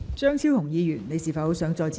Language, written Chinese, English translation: Cantonese, 張超雄議員，你是否想再次發言？, Dr Fernando CHEUNG do you wish to speak again?